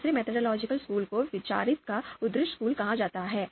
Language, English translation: Hindi, The second methodological school is called outranking school of thoughts